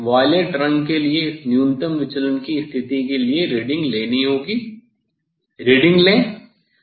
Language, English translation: Hindi, I have to note down, I have to note down the reading for this for this minimum deviation position for violet colour take reading